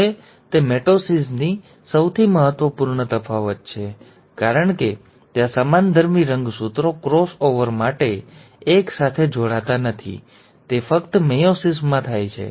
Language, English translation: Gujarati, Now that is the most important difference from mitosis, because there the homologous chromosomes are not pairing together for cross over, it happens only in meiosis one